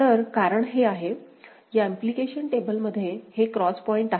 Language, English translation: Marathi, So, because this is; within this implication table these are the cross points, these are the cross points